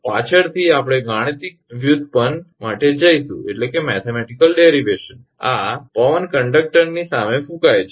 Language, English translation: Gujarati, Later, we will see for mathematical derivation this wind blowing against conductor